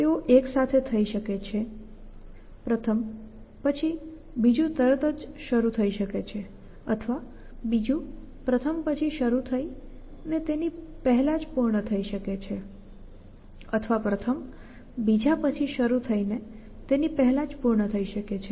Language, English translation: Gujarati, They can happen simultaneously 1 can second one can start immediately after the first one or the second one can be contain totally in the first one or second one can totally contain the first one